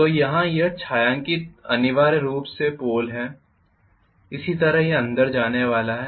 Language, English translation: Hindi, So this shaded portion is essentially the pole similarly this is going to go inside